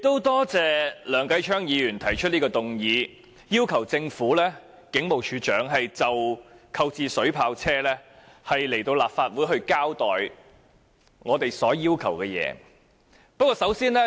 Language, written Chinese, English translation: Cantonese, 多謝梁繼昌議員動議這項議案，要求警務處處長就購入水炮車一事，前來立法會交代我們所要求的資料。, I would like to thank Mr Kenneth LEUNG for moving this motion that asks the Commissioner of Police to attend before the Council in order to give an account of the information requested by us in relation to the Polices purchase of water cannon vehicles